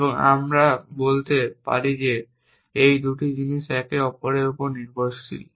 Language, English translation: Bengali, And we can say that these two things are dependent of each other